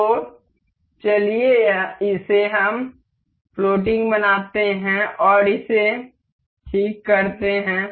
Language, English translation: Hindi, So, let us just make it floating and make this fixed